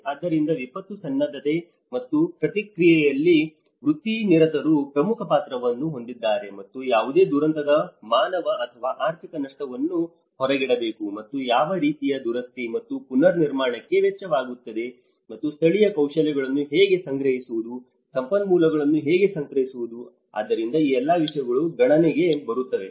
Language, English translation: Kannada, So, practitioners have a key role in disaster preparedness and response, and it also has to outlay the human and financial cost of any catastrophe and what kind of repair and the reconstruction is going to cost and how to procure the local skills, how to procure the resources, so all these things fall within there